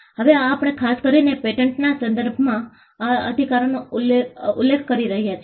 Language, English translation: Gujarati, Now, this we are referring to these rights especially in the context of patents